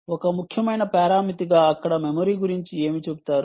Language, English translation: Telugu, what about memory as an important parameter there